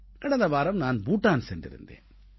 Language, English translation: Tamil, Just last week I went to Bhutan